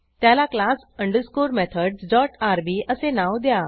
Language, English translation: Marathi, And name it class underscore methods dot rb